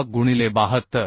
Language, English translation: Marathi, 6 into 72